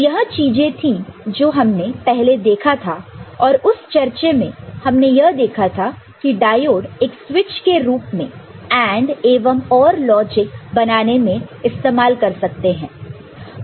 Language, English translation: Hindi, And in that discussion we had seen that diode as a switch can be used for developing AND and OR logic ok